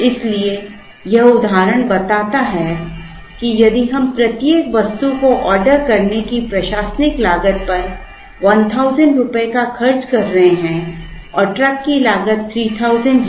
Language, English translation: Hindi, So, this example tells us that, if we are incurring a 1000 rupees on the admin cost of ordering each item and there is a truck cost of 3000